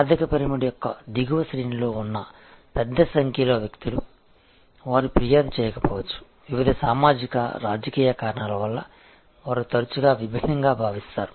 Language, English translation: Telugu, And a large number of people who are in the lower ranks of the economic pyramid, they many not complain, they feel diffident often, because of various past socio political reasons